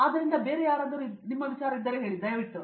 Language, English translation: Kannada, So, anyone else; yes please